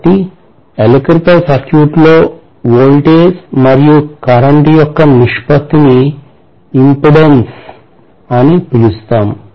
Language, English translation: Telugu, So that means the ratio of the voltage to current which we call as resistance or impedance in an electrical circuit